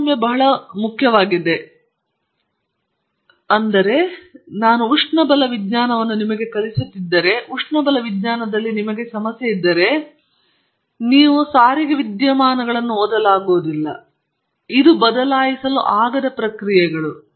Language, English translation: Kannada, Discrimination is very important, because if I teach you thermodynamics and you have a problem in thermodynamics, you also read transport phenomena which is irreversible processes